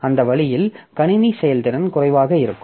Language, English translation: Tamil, So, that way the system throughput will be low